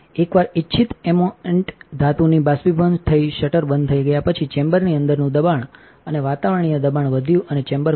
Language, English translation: Gujarati, Once the desired amount of metal has been evaporated shutter is closed, the pressure inside the chambers and increased atmospheric pressure and the chamber is opened